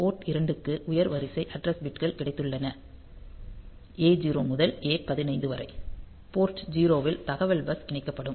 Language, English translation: Tamil, Port 2 has got the higher order address bits; A to A 15, port 0; the data bus will be coming connected